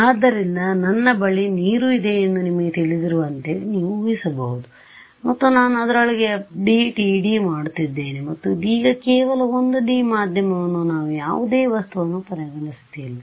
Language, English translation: Kannada, So, you can imagine like you know I have say water and I am doing FDTD within that and just 1D medium we are not even considering object right now